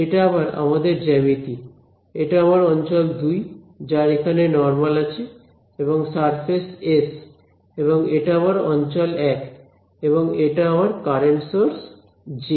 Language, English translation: Bengali, So, this is our geometry again, this is my region 2 with the normal over here and surface S and this is my region 1 and this is my current source J